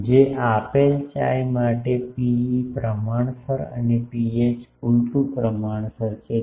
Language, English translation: Gujarati, That for a given chi rho e is proportional and rho h is inversely proportional